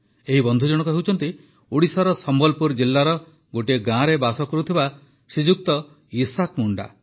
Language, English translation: Odia, This friend Shriman Isaak Munda ji hails from a village in Sambalpur district of Odisha